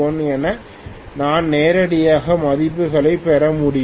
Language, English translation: Tamil, So I should be able to get the values directly